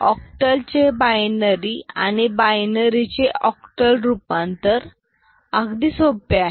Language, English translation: Marathi, It is very easy to convert from octal to binary, and binary to octal